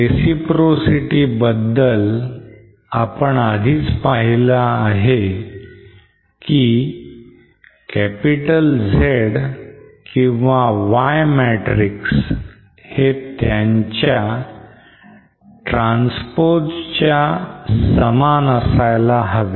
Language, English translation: Marathi, So for reciprocity we already saw that the Z or Y matrix should be equal to its transplacement